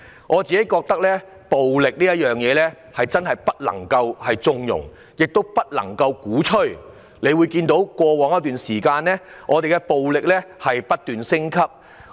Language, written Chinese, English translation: Cantonese, 我認為暴力絕不能縱容，亦絕不能鼓吹，因為我們看到暴力已在過往一段時間不斷升級。, I think that violence should not be tolerated or advocated because as we can see it has been escalating over the past period of time